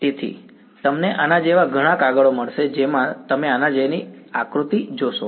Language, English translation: Gujarati, So, you will find something like this many papers you will see diagrams like this right